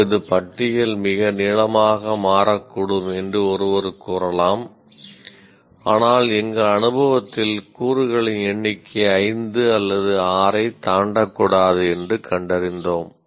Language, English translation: Tamil, And one may say, oh, it may the list may become too long, but we found in our experience the number of elements may never exceed five or six